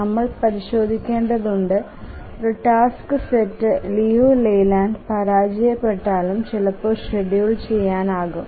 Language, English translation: Malayalam, And we need to check if a task set fails Liu Leyland but still it is schedulable